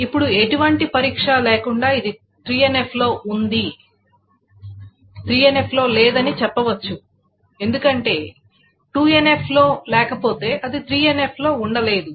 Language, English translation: Telugu, Without any testing, one can say this is not in 3NF because if something is not in 2NF, it cannot be in 3NF